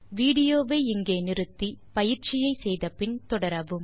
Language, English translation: Tamil, Pause the video here and do this exercise and then resume the video